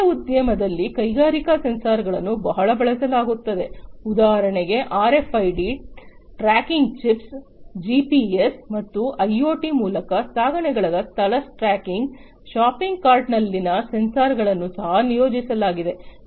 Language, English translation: Kannada, In the retail industry also industrial sensors are used, for example, RFID tracking chips, tracking location of shipments made possible with GPS and IoT, sensors on shopping cart are also deployed